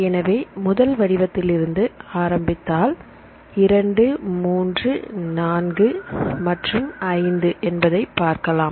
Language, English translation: Tamil, So, here if you see this is starting form 1 here, 2 3 4 and 5